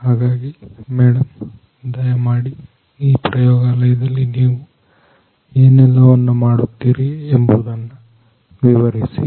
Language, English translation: Kannada, So, ma’am could be please explain what you do over here in this lab